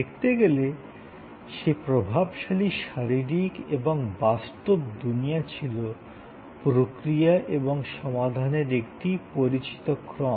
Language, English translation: Bengali, In certain ways that dominantly physical and tangible world was a known series of processes and solutions